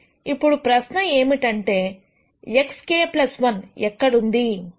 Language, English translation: Telugu, Now, the question is this x k plus 1 where is it placed